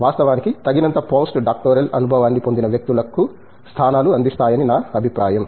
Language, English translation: Telugu, In fact, I think positions are offer to people, who acquire enough postdoctoral experience